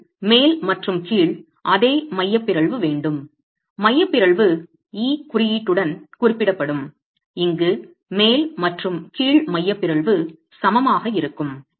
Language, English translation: Tamil, We have the same eccentricity, the top and the bottom eccentricity represented with the notation E here, top and bottom eccentricities are equal